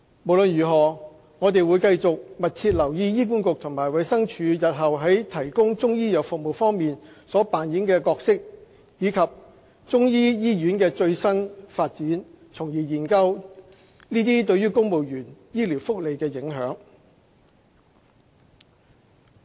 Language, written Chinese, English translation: Cantonese, 無論如何，我們會繼續密切留意醫管局及衞生署日後在提供中醫藥服務方面所扮演的角色，以及中醫醫院的最新發展，從而研究其對公務員醫療福利的影響。, Anyway we will continue to watch closely the role to be played by HA and DH in the provision of Chinese Medical service as well as the development of Chinese medicine hospital with a view to studying the impact on the medical benefits for civil servants